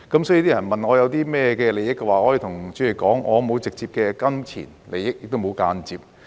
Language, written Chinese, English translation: Cantonese, 所以，人們問我有甚麼利益的話，我可以對主席說，我沒有直接的金錢利益，也沒有間接的。, Therefore if people ask me what interests do I have I can tell the President that I have no direct pecuniary interests nor do I have any indirect ones